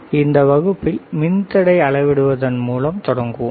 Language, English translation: Tamil, So, we will start with measuring the resistor